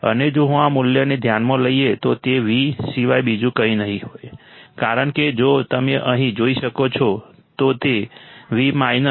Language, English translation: Gujarati, And if I consider this value then it will be nothing but Vminus because if you can see here, so it will be Vminus minus Vo by R2 minus Vo by R2